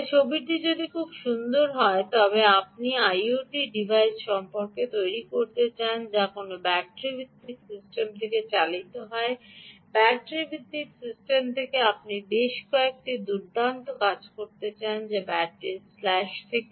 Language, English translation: Bengali, so if the picture is very nice, that if you want to build your i o t device ah which is driven from a battery based system ok, from a battery based system you want to do several nice things or from battery slash, so i will ah say battery slash, because harvesters are also important